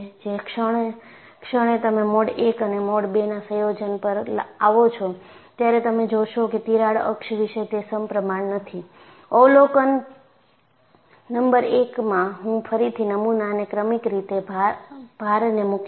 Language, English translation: Gujarati, The moment you come to a combination of mode 1 and mode 2, you find, it is no longer symmetrical about the crack axis observation number one; and I would again load the specimen sequentially